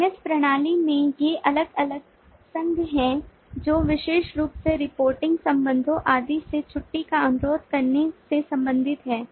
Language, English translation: Hindi, these are different associations in the lms system, particularly relating to request from reporting relationships and so on